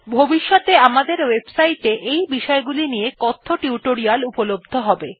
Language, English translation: Bengali, Our website will also have spoken tutorials on these topics in the future